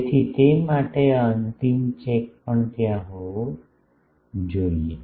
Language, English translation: Gujarati, So, for that this final check also should be there